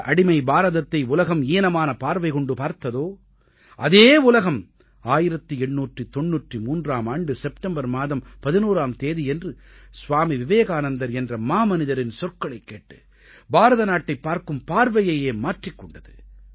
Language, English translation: Tamil, The enslaved India which was gazed at by the world in a much distorted manner was forced to change its way of looking at India due to the words of a great man like Swami Vivekananda on September 11, 1893